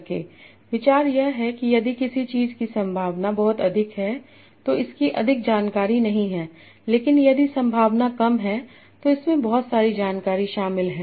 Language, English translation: Hindi, It is that if the probability of something is very high, it does not have much information but the probability is low, it contains a lot of information